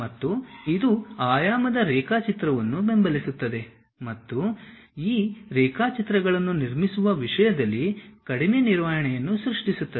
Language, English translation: Kannada, And also, it supports dimensional sketching and creates less handling in terms of constructing these sketches